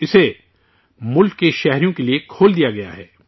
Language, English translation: Urdu, It has been opened for the citizens of the country